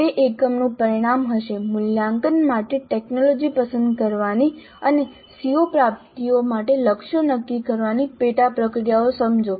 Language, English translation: Gujarati, So, the outcome of that unit would be understand the sub processes of selecting technology for assessment and setting targets for CO attainment